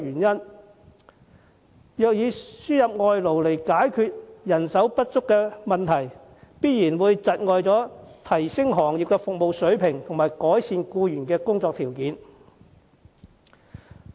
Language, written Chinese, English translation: Cantonese, 如以輸入外勞解決人手不足的問題，必然有礙提升行業服務水平和改善僱員的工作條件。, If importation of foreign labour is resorted to as a solution enhancement of service levels of the industry will inevitably be hindered and improvement to the conditions of employment of these workers will also be affected